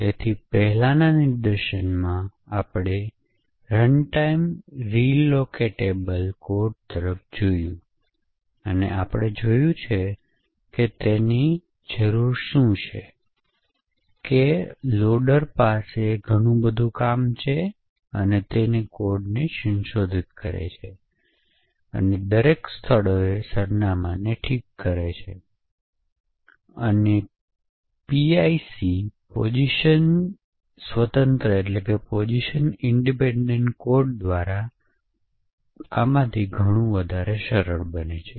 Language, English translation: Gujarati, So, in the previous demonstration we looked at runtime relocatable code and we have seen that it requires that the loader have a lot of things to do and it requires the loader to go and modify the code and fix the address in each of the locations and a lot of this becomes much more simplified with a PIC, a position independent code